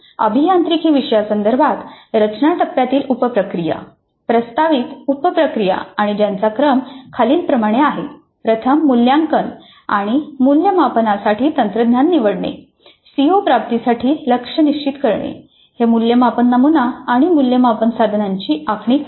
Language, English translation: Marathi, So the sub processes of a design phase are now that in the context of an engineering course the proposed sub processes and their sequence are first selecting the technology for assessment and evaluation which we will see in the next unit, setting targets for CO attainment, designing the assessment pattern and assessment instruments